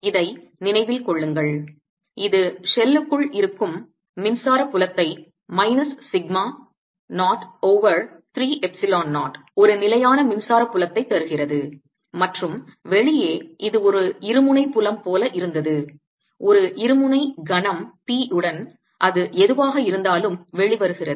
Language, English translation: Tamil, recall that this gave us the magnetic with the electric field inside the shell as minus sigma zero over three, epsilon zero, a constant electric field, and outside it was like a dipolar field with a dipole movement, p, whatever that comes out to be now